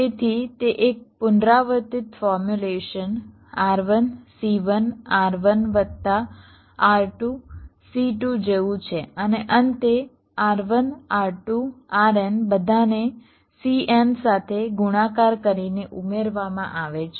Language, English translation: Gujarati, so like that it is like a recursive formulation: r one, c one, r one plus r two, c two, and at the end r one, r two, r n all added together multiplied by c n